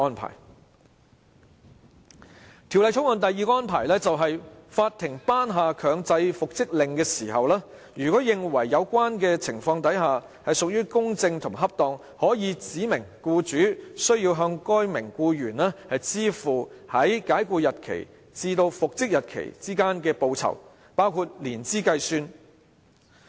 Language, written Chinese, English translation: Cantonese, 《條例草案》第二個安排，就是法庭頒下強制復職令時，如認為有關情況屬公正和恰當，可指明僱主須向該名僱員支付在解僱日期至復職日期之間包含年資計算的報酬。, The second arrangement in the Bill is that on the making of a compulsory reinstatement order if the court considers just and appropriate in the circumstances it may specify the employer to pay the employee his remuneration for the period between the date of dismissal and the date of reinstatement calculated inclusive of the years of service